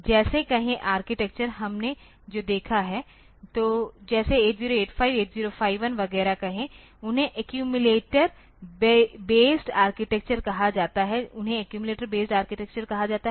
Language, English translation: Hindi, Like say architecture what we have seen so, far like say 8085, 8051 etcetera so, they are called accumulator based architecture they are called accumulator based architecture